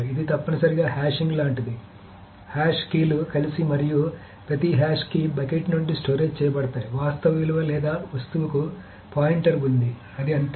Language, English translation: Telugu, So the hash keys are stored together and from each hash key bucket there is a pointer to the actual value or the object